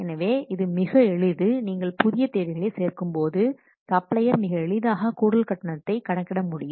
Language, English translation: Tamil, So adding new requirements is easy, that means the supplier can easily calculate the extra charge